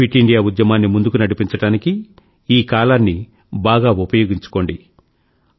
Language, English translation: Telugu, Use the weather to your advantage to take the 'Fit India Movement 'forward